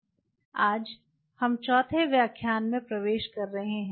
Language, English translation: Hindi, So, today we are into the fifth lecture of week 3